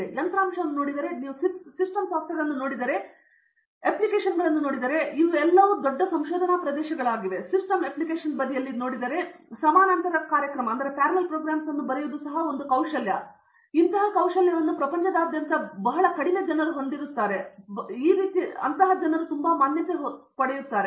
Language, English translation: Kannada, If you look at hardware, if you look at system software, you look at applications, these are all the big research areas and of course, on the system application side, writing these type of parallel programs also is a skill and very, very few people across the globe has this type of exposure